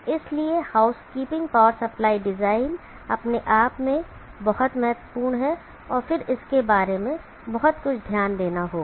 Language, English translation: Hindi, So therefore, housekeeping power supply design itself is very very important and then one has to give lot of thought to it